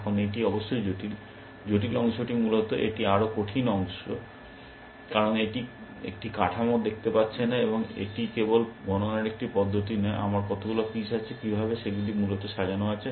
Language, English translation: Bengali, Now, this is of course, the trickier part essentially, this is the more difficult part, because it is not looking a structure, and not it is not just a method of counting, how many pieces I have, how are they arranged essentially